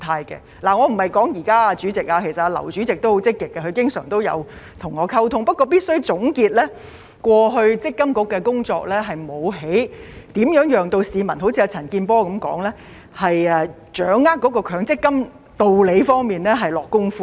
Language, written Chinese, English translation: Cantonese, 主席，我說的不是現在，其實劉主席也相當積極，他經常和我溝通，但總結過去積金局的工作，正如陳健波議員所說，沒有在解說強積金的道理方面下工夫。, President I am not talking about the present situation . In fact Chairman LAU is quite proactive and often communicates with me . However as mentioned by Mr CHAN Kin - por MPFA has not made any effort to explain the rationale of MPF in the past